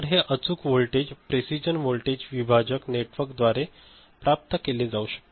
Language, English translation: Marathi, So, this is obtained, can be obtained from precision voltage divider network, ok